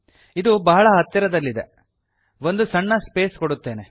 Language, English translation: Kannada, This is too close I want to leave a small space